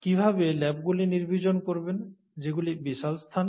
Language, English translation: Bengali, How do you sterilize labs which are huge spaces